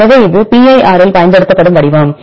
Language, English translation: Tamil, So, this is the format used in pir